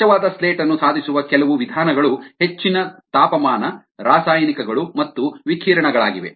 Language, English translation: Kannada, some of the we means of achieving a clean slate is high temperature, chemicals and radiation